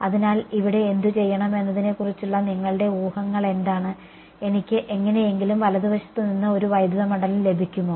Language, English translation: Malayalam, So, what is your guesses as to what to do over here can I get a electric field from in the right hand side somehow